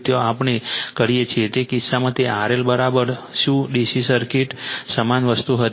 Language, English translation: Gujarati, There we do in that case it was R L is equal to what DC circuit similar thing